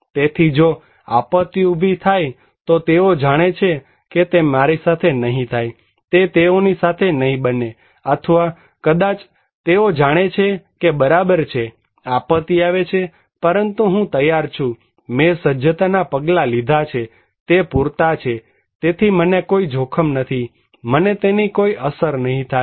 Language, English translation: Gujarati, So, if disaster happened, they know that it will not happen to me, it would not happen to them, or maybe they are knowing that okay, disaster is coming but I am prepared, the preparedness measures I took enough so, I would not be at risk okay, I would not be impacted